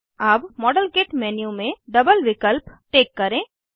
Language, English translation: Hindi, Check the double option in the modelkit menu